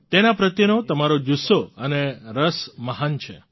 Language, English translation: Gujarati, Your passion and interest towards it is great